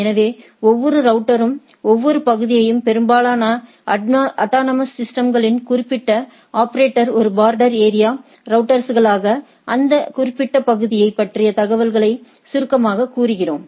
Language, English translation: Tamil, So, every router every area often particular operator of autonomous systems as a border area routers, we summarize the information about the about that particular area